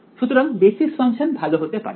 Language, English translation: Bengali, So, basis functions can be better